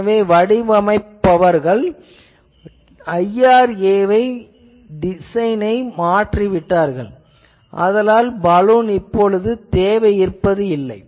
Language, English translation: Tamil, So, the question was that people have modified the IRA, so that the Balun is not required